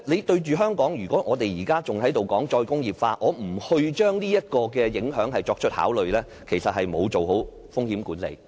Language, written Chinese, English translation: Cantonese, 對於香港，如果我們仍然談"再工業化"，而不將這個影響作出考慮，其實是沒有做好風險管理。, If we in Hong Kong still keep talking about re - industrialization without considering all this impact we will fail in our risk management work